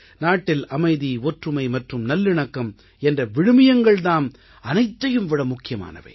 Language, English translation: Tamil, The values of peace, unity and goodwill are paramount in our country